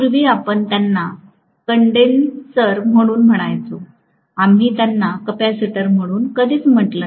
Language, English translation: Marathi, In older days we used to call them as condenser, we never used to call them as capacitor